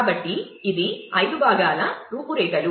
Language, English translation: Telugu, So, this is the outline the 5 parts